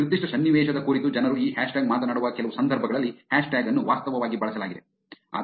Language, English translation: Kannada, The hashtag was actually used in some of the context where people were actually using this hashtag talk about a particular situation